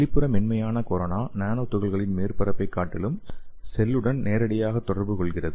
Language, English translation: Tamil, So the soft corona it is outer soft corona that is presented to and directly interacts with the cell rather than the original nanoparticle surface